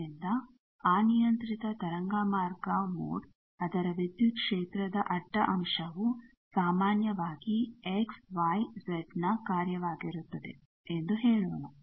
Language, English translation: Kannada, So, that is why let us say that an arbitrary waveguide mode its transverse component of electric field will in general be a function of x, y, z